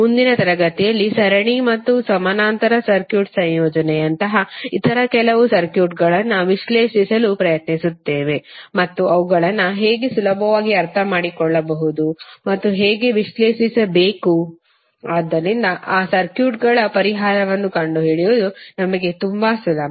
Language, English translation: Kannada, In next session we will to try to analyze some other circuits which are like a circuit combination of series and parallel and how to make them easier to understand and how to analyze so that it is very easy for us to find the solution of those circuits